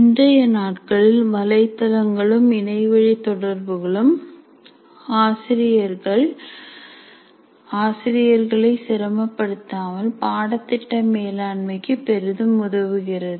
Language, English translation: Tamil, And these days we have websites and internet communication can greatly facilitate course management without taxing the teacher